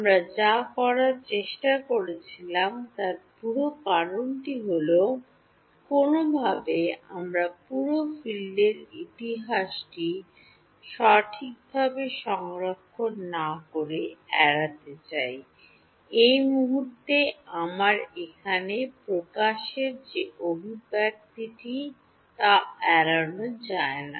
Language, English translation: Bengali, The whole reason that we were trying to do this is, somehow we want to avoid having to store the entire field history right; right now the expression that I have over here this expression does not avoid that